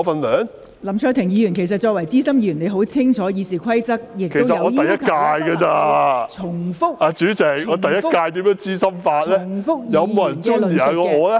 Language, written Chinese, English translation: Cantonese, 林卓廷議員，作為資深議員，你很清楚《議事規則》要求議員不得重複其他委員的論點......, Mr LAM Cheuk - ting as a veteran Member you know full well that in accordance with the Rules of Procedure Members shall not repeat other Members arguments